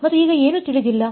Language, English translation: Kannada, And what is unknown now